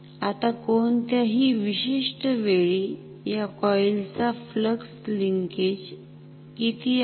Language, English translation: Marathi, Now, how much is the flux linkage of this coil at any particular time